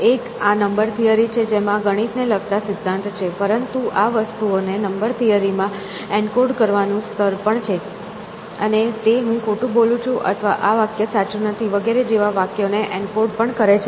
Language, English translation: Gujarati, One is this level of number theory which is principle of mathematics is all about, but there is also this level of encoding things into this number theory and then encoding sentences like I am lying or something like that essentially or this sentence is not true and things like that